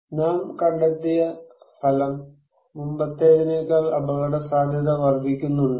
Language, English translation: Malayalam, What result we have found, is risk increasing than before